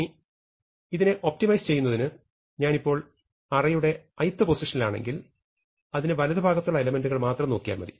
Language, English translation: Malayalam, Now, the point is in order to optimize this if I am at position i, then I will only look at elements to its right